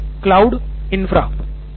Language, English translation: Hindi, Basic cloud infra, yeah